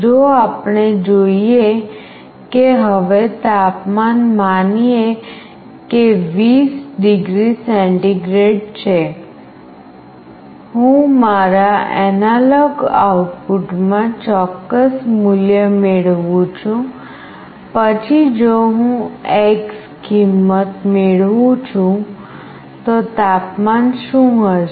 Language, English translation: Gujarati, If we know that now the temperature is, let us say 20 degree centigrade, I am getting certain value in my analog output, then if I am getting x value, what will be the temperature